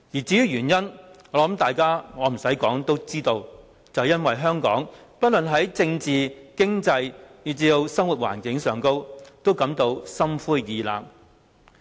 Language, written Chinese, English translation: Cantonese, 至於原因，我想不用多說大家都知道，是因為香港人不論在政治、經濟以至生活環境方面都感到心灰意冷。, Needless to say Members all know the reason that is Hong Kong people are disheartened in terms of politics the economy and even their living environment